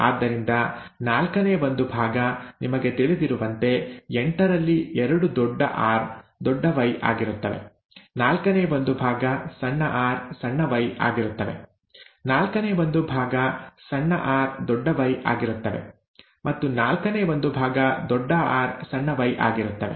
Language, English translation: Kannada, Therefore, one fourth, you know, two out of eight is capital R capital Y, one fourth is small r small y, one fourth is small r capital Y, and one fourth is capital R small y